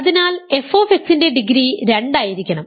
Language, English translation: Malayalam, So, f x cannot be degree 0